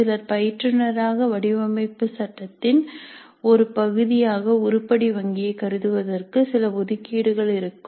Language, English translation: Tamil, Some instructors may have some reservations about considering the item bank as a proper part of the design phase